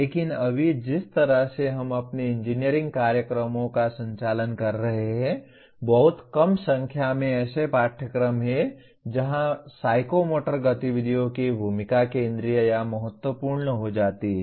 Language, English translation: Hindi, But right now, the way we are conducting our engineering programs there are very small number of courses where the role of psychomotor activities is becomes either central or important